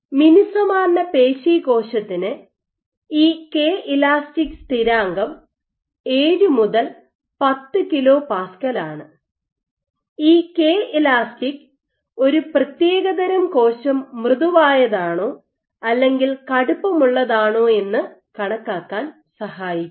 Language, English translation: Malayalam, So, for a muscle cell for a smooth muscle cell this K elastic constant turns out to be order 7 to 10 kilo Pascal, but this Kel provides a way of quantifying whether a substrate is soft or stiffer of given cell